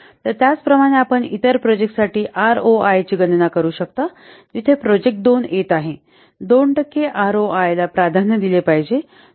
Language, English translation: Marathi, So similarly, you can compute the ROI for the other projects where for for project 2 it is coming to 2 percentage